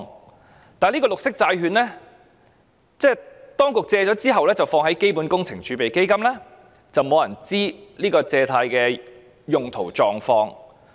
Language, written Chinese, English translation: Cantonese, 然而，對於綠色債券，當局借款後便會放在基本工程儲備基金，沒有人知道借款的用途及狀況。, However as regards green bonds the borrowed sums will be credited to CWRF after the loan is secured without anyone knowing the purposes and status of the loan